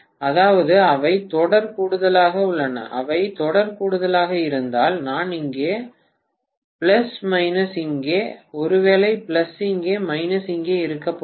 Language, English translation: Tamil, That means they are in series addition, if they are in series addition I am going to have plus here, minus here, maybe plus here, minus here